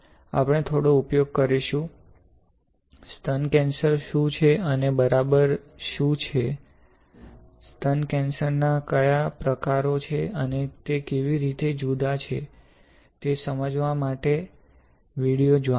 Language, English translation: Gujarati, We will use a few; you know videos to explain to you what is breast cancer and what exactly, what are the types of breast cancer, and how it is different